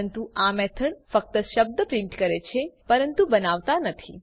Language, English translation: Gujarati, But this method only prints the word but does not create one